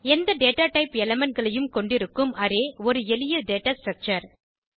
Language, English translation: Tamil, Array is a simple data structure which contains elements of any data type